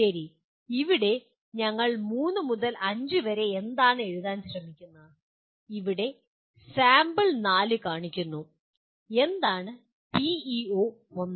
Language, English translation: Malayalam, Okay here what are we trying to we need to write three to five, here the sample shows four and what is PEO 1